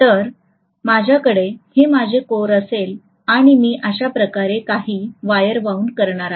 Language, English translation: Marathi, So if I am having this as my core and let us say, I am going to wind some wire like this